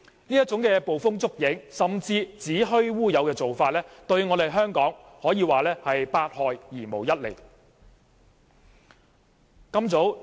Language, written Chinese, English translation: Cantonese, 這種捕風捉影甚至子虛烏有的做法，對香港可以說是百害而無一利。, This practice of making groundless accusations or even making things up will bring nothing but harm to Hong Kong